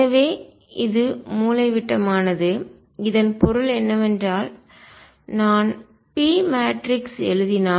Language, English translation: Tamil, So, this is diagonal what; that means, is that if I write p matrix